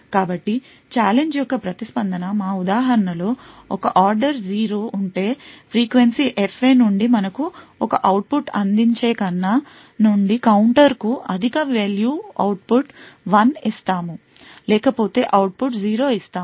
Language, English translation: Telugu, So the response of the challenge is one order 0 in our example, if the frequency F A corresponding to this counter has a higher value than we provide an output 1, else we provide an output 0